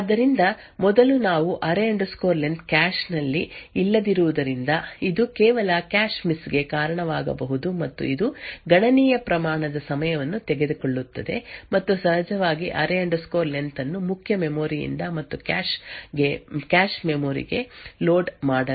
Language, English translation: Kannada, so first we would see that since array len is not in the cache it would cause some cache miss which would take constable amount of time and of course array len to be loaded from the main memory and to the cache memory